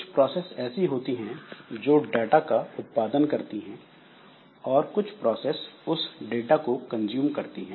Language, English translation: Hindi, So, there are some process which are producing some data and there are some process which is actually consuming the data